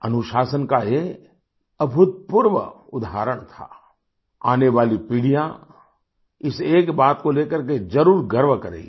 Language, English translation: Hindi, It was an unprecedented example of discipline; generations to come will certainly feel proud at that